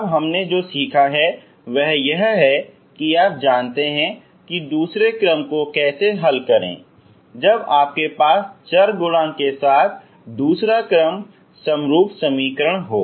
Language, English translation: Hindi, So this is, so far what we have learned is you know how to solve second order when you have a second order homogenous equations with variable coefficients